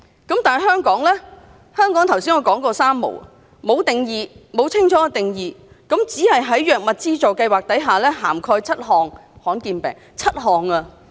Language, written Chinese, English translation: Cantonese, 反觀香港，我剛才說香港是"三無"，沒有定義，沒有清楚的定義，只是在藥物資助計劃下，涵蓋7種罕見病。, In Hong Kong however we only have the three - no I just mentioned . We have no definition . We have not clearly defined any rare diseases except the seven rare diseases which are covered under drug subsidies